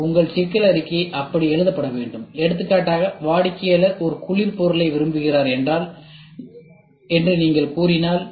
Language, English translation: Tamil, So, your problem statement should be written like that and if for example, if you say that the customer would like to have a cold item